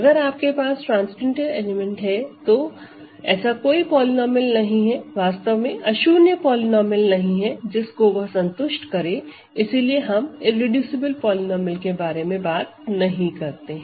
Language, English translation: Hindi, If you have a transcendental element there is no polynomial actually non zero polynomial that it satisfies, so we do not talk of irreducible polynomials ok